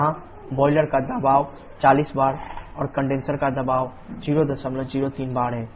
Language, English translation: Hindi, We have the same boiler pressure of 40 bar and condenser pressure of 0